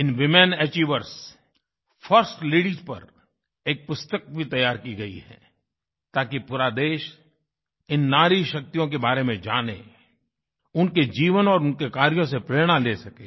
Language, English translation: Hindi, A book has beencompiled on these women achievers, first ladies, so that, the entire country comes to know about the power of these women and derive inspiration from their life work